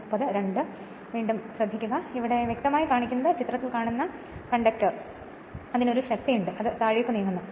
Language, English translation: Malayalam, Now, this clearly shows that conductor in figure has a force on it which tends to move in downward